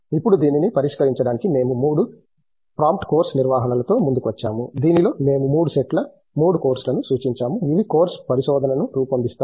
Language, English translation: Telugu, Now to address this, we have come up with the three prompt course structures in which we have prescribed three sets three courses which form the course research